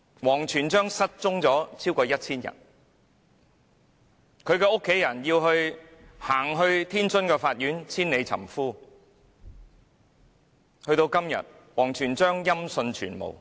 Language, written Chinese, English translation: Cantonese, 王全璋失蹤超過 1,000 天，他的妻子到天津的法院千里尋夫，到了今天，王全璋仍然音訊全無......, WANG Quanzhang has gone missing for more than 1 000 days . His wife travelled all the way to the court in Tianjin to look for him . As at today there is still no news about WANG Quanzhang